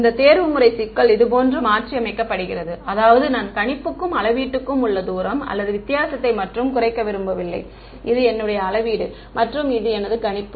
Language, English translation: Tamil, Then this optimization problem gets modified like this that not only do I want to minimize the distance or the difference between prediction and measurement right, this is my measurement and this is my prediction